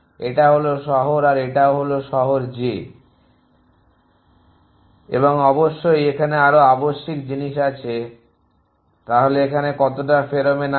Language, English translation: Bengali, So, this is city i this is city j an than off course there is the other thing essentially so how much pheromone is on this